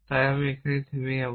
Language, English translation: Bengali, So, I will stop here I think